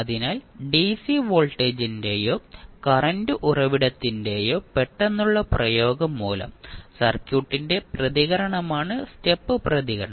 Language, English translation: Malayalam, So, step response is the response of the circuit due to sudden application of dc voltage or current source